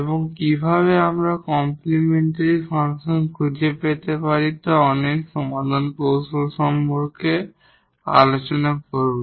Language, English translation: Bengali, And we will discuss many solution techniques how to find complementary function